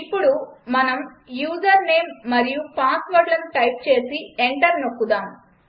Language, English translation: Telugu, Now let us type the username and password and press enter